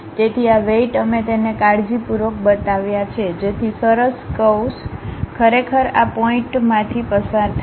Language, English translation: Gujarati, So, these weights we carefully shown it, so that a nice curve really pass through these points